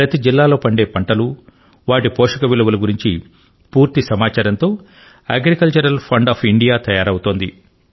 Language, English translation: Telugu, An Agricultural Fund of India is being created, it will have complete information about the crops, that are grown in each district and their related nutritional value